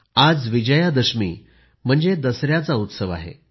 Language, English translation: Marathi, Today is the festival of Vijaydashami, that is Dussehra